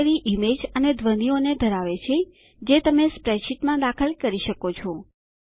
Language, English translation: Gujarati, Gallery has image as well as sounds which you can insert into your spreadsheet